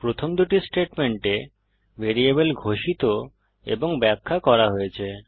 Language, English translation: Bengali, the first two statements the variables are declared and defined